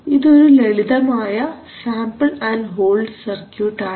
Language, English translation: Malayalam, So here, is the sample and hold circuit, very simple one